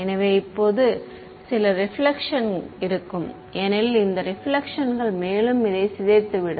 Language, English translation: Tamil, So, there will be some reflection now as this some reflection this will further decay